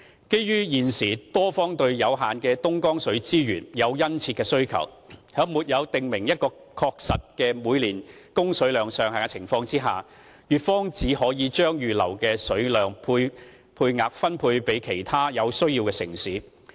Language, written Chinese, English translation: Cantonese, 基於現時多方對有限的東江水資源有殷切的需求，在沒有訂明一個確實的每年供水量上限的情況下，粵方只可將預留的水量配額分配給其他有需要的城市。, In light of the great demand for the limited Dongjiang water resources from various sides the Guangdong side without a clearly specified ceiling of annual water supply for Hong Kong can only distribute the set aside water quota to other cities in need